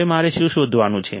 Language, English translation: Gujarati, Now what do I have to find